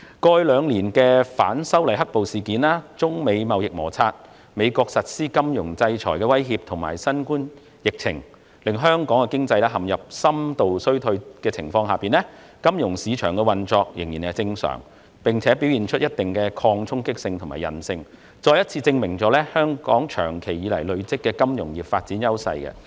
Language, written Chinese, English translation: Cantonese, 過去兩年，儘管反修例"黑暴"事件、中美貿易摩擦，美國實施金融制裁的威脅及新冠疫情令香港經濟陷入深度衰退，但金融市場仍正常運作，並且展現一定的抗衝擊性和韌性，再次證明香港長期發展金融業所積累的優勢。, In the past two years Hong Kongs economy has been mired in a deep recession due to the black - clad violence incidents arising from the opposition to the proposed legislative amendments the Sino - United States US trade conflicts USs threat of financial sanctions and the COVID - 19 epidemic . However our financial market has been operating normally and has demonstrated some resistance and resilience to the impacts which once again shows the strengths Hong Kong has derived from developing the financial industry for a long time